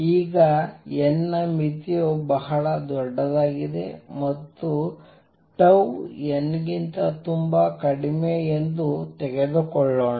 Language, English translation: Kannada, Now let us take the limit of n tending to infinity that is n very large and tau much much much less than n